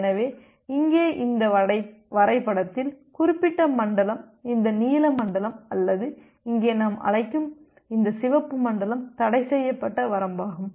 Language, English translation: Tamil, So here in this diagram this, particular zone this blue zone or here this red zone we call is a forbidden range